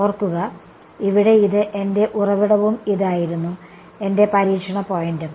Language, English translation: Malayalam, Remember, here, this was my source and this was my testing point